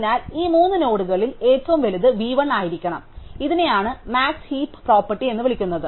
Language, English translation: Malayalam, So, among these three nodes the largest one must be v 1, so this is what is called the max heap property